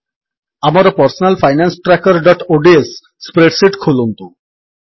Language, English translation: Odia, Let us open our Personal Finance Tracker.ods spreadsheet